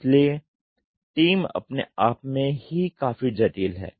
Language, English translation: Hindi, So, the team itself is quite complex